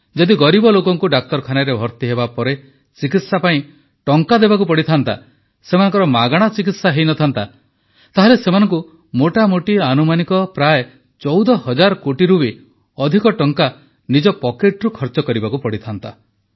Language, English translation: Odia, If the poor had to pay for the treatment post hospitalization, had they not received free treatment, according to a rough estimate, more than rupees 14 thousand crores would have been required to be paid out of their own pockets